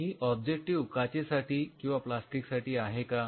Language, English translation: Marathi, Is this objective for plastic or glass